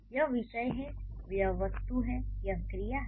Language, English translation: Hindi, So this is subject, this is object, this is verb